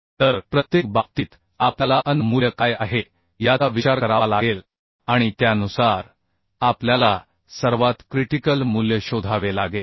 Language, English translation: Marathi, So, case to case, we have to consider what is the An value and accordingly we have to find out the most critical one right